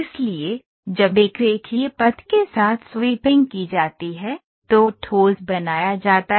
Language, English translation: Hindi, So, when sweeping along a linear path is produced the solid is made